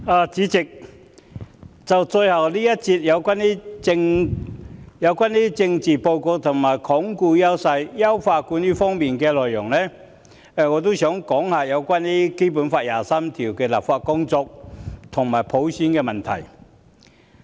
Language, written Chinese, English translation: Cantonese, 代理主席，最後一節辯論有關施政報告在"鞏固優勢，優化管治"方面的內容，我也想談談就《基本法》第二十三條立法的工作和普選問題。, Deputy President in the last debate session on the Policy Report on Reinforcing Strengths Enhancing Governance I also wish to speak on the work concerning legislating for Article 23 of the Basic Law and the problem of universal suffrage